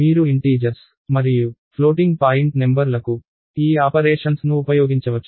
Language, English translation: Telugu, You can use these operations against integers and floating point numbers